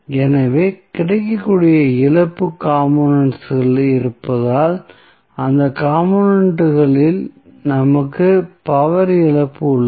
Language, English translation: Tamil, So, because of the available loss components, we have the power loss in those components